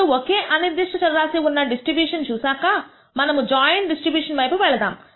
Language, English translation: Telugu, Now, having seen the distribution of single random variable, let us move on to the joint distribution of two random variables